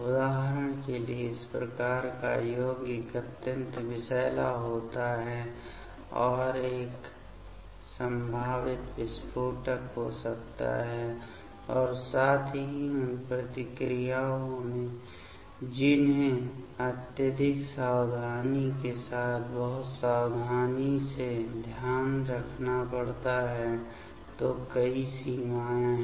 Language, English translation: Hindi, As per example this type of this compound is extremely toxic and can be a potential explosive and as well as in that reactions that has to be taken care with very carefully with extreme caution; so, there are many limitations ok